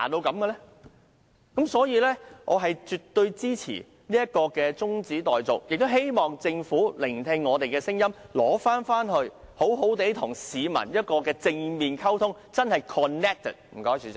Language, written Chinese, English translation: Cantonese, 基於這些理由，我絕對支持中止待續的議案，亦希望政府聆聽我們的聲音，把方案收回，並且好好與市民正面溝通，做到真正的 connected。, For these reasons I absolutely support the motion for adjournment of the debate . I also hope that the Government can listen to our voices withdraw the proposal and properly communicate with the public in a positive manner to really get connected